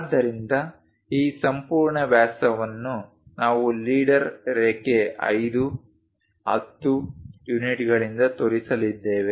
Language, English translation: Kannada, So, this entire diameter if we are going to show it by leader line 5 10 units